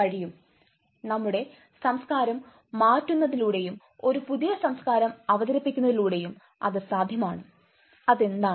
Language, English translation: Malayalam, yes that is possible through changing our culture introducing our new culture what is that